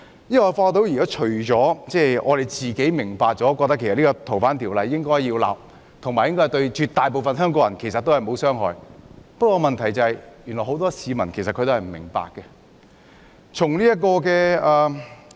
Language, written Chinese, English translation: Cantonese, 因為我發現只有我們明白應修訂《逃犯條例》，而且修例對絕大部分香港人沒有傷害，問題是很多市民都不明白。, That is because I realize that we are the only ones who understand why FOO should be amended and that the amendments will not cause harm to most Hong Kong people . Yet many people do not have this kind of understanding